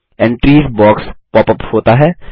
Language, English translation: Hindi, The Entries box pops up